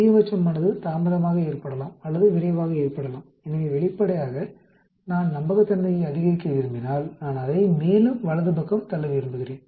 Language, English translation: Tamil, The maximum can occur later or earlier, so obviously if I want to increase the reliability, I want to push it more to the right